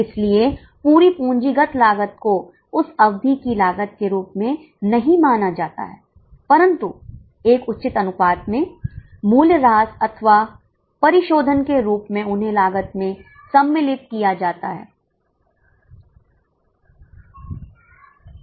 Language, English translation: Hindi, So, the whole of capitalized cost is not considered as cost of that period, but a proper proportion of that in the form of depreciation or amortization is included in the cost